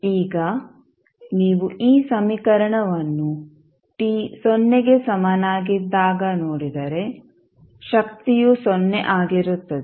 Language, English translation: Kannada, Now if you see this equation at time t is equal to 0, this factor will be 0